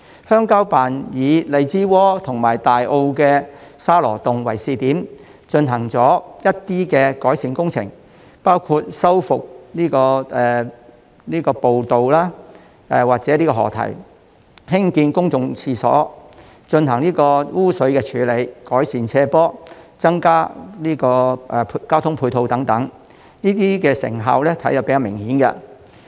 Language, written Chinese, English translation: Cantonese, 鄉郊辦以荔枝窩和大埔的沙螺洞為試點，進行了一些改善工程，包括修復步道及河堤、興建公共廁所、進行污水處理、改善斜坡、增加交通配套等，這些成效比較明顯。, CCO has selected Lai Chi Wo and Sha Lo Tung in Tai O as pilot sites and carried out some improvement works including restoration of trails and river walls construction of public toilets treatment of sewage slope improvement works and increasing transport facilities . All these have produced quite remarkable results